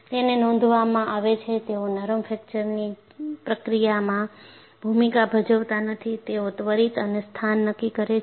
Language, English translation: Gujarati, And what is reported is, they do not play a role in the process of ductile fracture, they determine the instant and the location